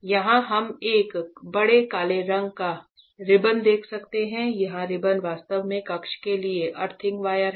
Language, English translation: Hindi, So, here we can see a big black color ribbon here that the black big black color ribbon is actually the earthing wire for the chamber